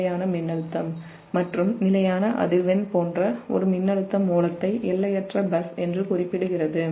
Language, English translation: Tamil, it will remain unchanged and such a such a voltage source of constant voltage and constant frequency is referred to as an infinite bus